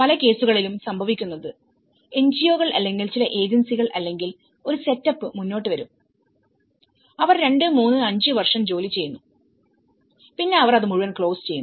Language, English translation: Malayalam, So, what happens is many at cases, the NGOs come forward or some agencies or a setup will come forward, they work for 2, 3, 5 years and then, they close the whole basket